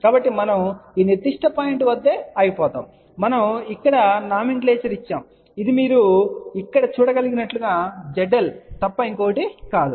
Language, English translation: Telugu, So, we stop at this particular point and we gave a nomenclature here which is nothing but Z L as you can see here